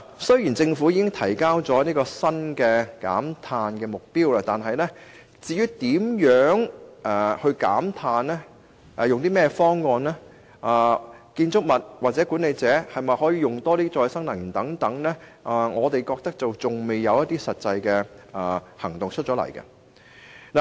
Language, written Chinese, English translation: Cantonese, 雖然政府已提出新的減碳目標，但對於如何減碳、採用何種方案，或建築物或管理公司可否多用可再生能源等問題，我們覺得仍未有實際建議。, While the Government has put forth a new target on carbon intensity reduction we still fail to see any concrete proposals to deal with the questions of how to reduce carbon intensity what approach is to be adopted and whether buildings or management companies will be allowed to increase the use of renewable energy